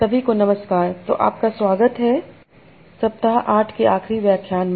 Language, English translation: Hindi, So welcome to this final lecture of week 8